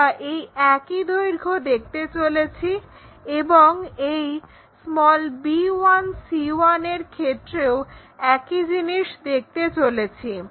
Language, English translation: Bengali, And this b 1, c 1 also we are going to see the same thing